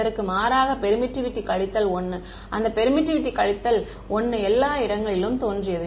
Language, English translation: Tamil, x is contrast permittivity minus 1, that permittivity minus 1 appeared everywhere